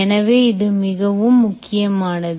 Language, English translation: Tamil, so that's really the key here